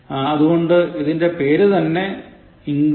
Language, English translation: Malayalam, So the name of the site itself is, englishpractice